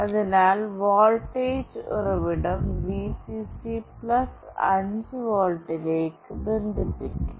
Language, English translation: Malayalam, So, the voltage source Vcc will be connected to +5 volt